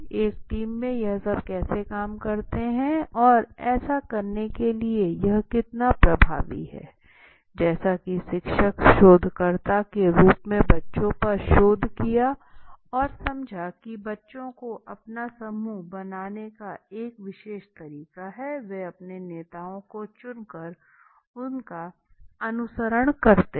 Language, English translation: Hindi, How it all work in a team how effective this team work has done so to do that teacher did as researcher did research on the children and understood children have a particular way of making on own groups and choosing the own leaders and then following them